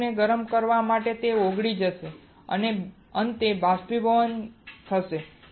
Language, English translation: Gujarati, Heating the metal will cause it the metal to melt and finally, evaporate